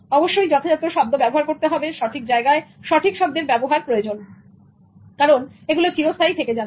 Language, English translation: Bengali, Words should be appropriately chosen, the right word in the right place, because it can be stored permanently